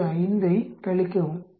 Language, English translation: Tamil, 5, subtract 0